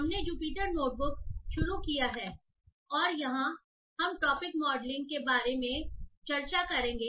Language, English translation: Hindi, So we have started Jupyter Notebook and here we will be discussing about topic modeling